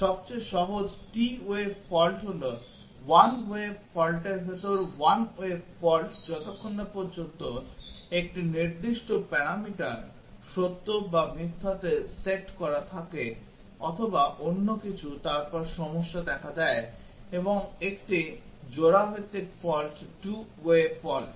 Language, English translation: Bengali, The simplest t way fault is a 1 way fault in a 1 way fault as long as 1 specific parameter is set to true or false or something then the problem occurs and a pair wise fault is 2 way faults